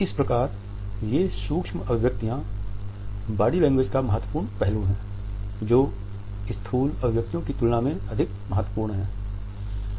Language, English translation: Hindi, Now, these micro expressions are significant aspect of body language much more significant than the macro ones